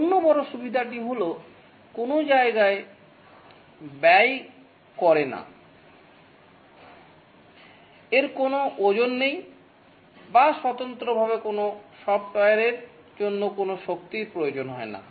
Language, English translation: Bengali, The other big advantage is that consumes no space, it has no weight or intrinsically there is no power associated with software